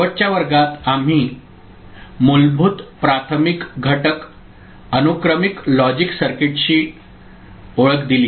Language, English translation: Marathi, In the last class we introduced ourselves to sequential logic circuit, the fundamental primary elements of it